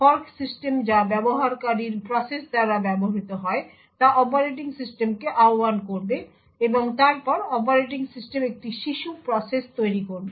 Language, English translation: Bengali, The fork system called which is used by the user processes would invoke the operating system and then the operating system would create a child process